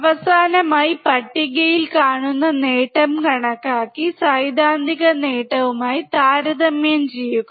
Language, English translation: Malayalam, Finally, calculate the gain observed in the table and compare it with the theoretical gain